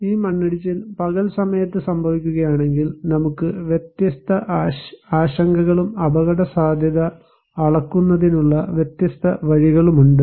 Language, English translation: Malayalam, And if this landslide is happening at day time, we have different concerns and different way of measuring risk